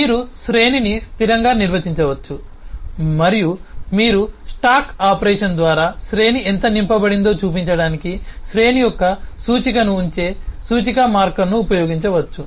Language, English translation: Telugu, You can statically define an array and you can use an index marker which will keep an index of the array to show how much the array has been filled up by the stack operation